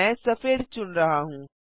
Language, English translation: Hindi, I am selecting white